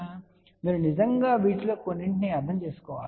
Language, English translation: Telugu, So, you really have to understand some of these things